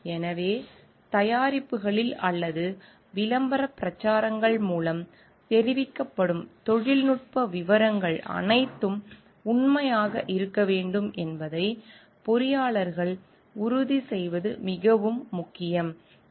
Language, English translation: Tamil, So, it is very important that the engineers ensure like whatever technical details are mentioned in the products or in the communicated via ad campaigns should be true